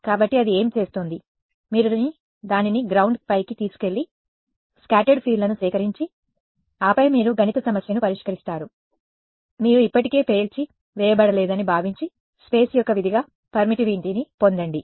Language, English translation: Telugu, So, what it is doing its, you sort of take it over the ground and collect the scattered fields and then you solve the mathematical problem assuming you have not being blown up already, to get what is the permittivity as a function of space